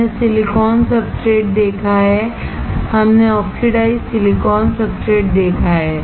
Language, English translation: Hindi, We have seen the silicone substrate, we have seen the oxidized silicon substrate